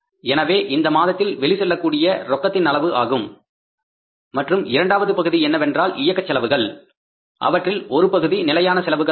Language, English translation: Tamil, So, that cash out flow will take place in that month and second is the second part is the operating expenses which are partly variable, partly fixed